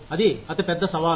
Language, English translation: Telugu, That is the biggest challenge